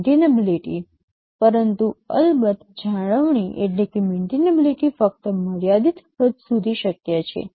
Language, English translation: Gujarati, But of course, maintainability is possible only to a limited extent